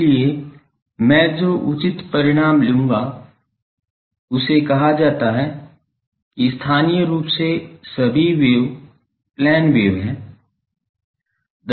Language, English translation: Hindi, So, the relevant results that I will take that is called that locally all the waves are plane waves